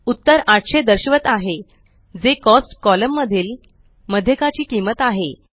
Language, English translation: Marathi, The result shows 800, which is the median cost in the column